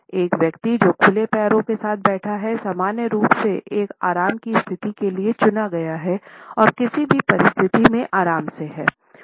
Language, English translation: Hindi, A person who is sitting with open legs normally comes across as a person who is opted for a relaxed position and is comfortable in a given situation